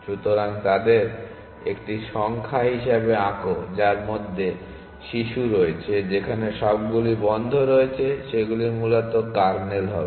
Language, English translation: Bengali, So, let draw them as a numbers which has children which are all on closed would be the kernel essentially